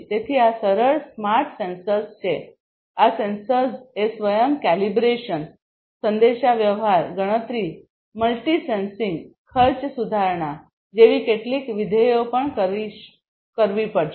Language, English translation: Gujarati, So, these are the simple smart sensors these sensors will also have to do certain functionalities like self calibration, communication, computation, multi sensing cost improvement of their own, and so on